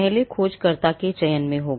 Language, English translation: Hindi, The first thing will be in selecting a searcher